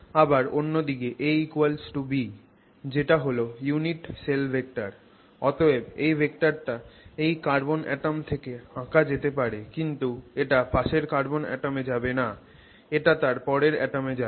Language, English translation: Bengali, On the other hand the A equals B which is the unit cell vector so to speak is actually the vector that you would draw let's say starting from this carbon atom not to the adjacent carbon atom but to the one after that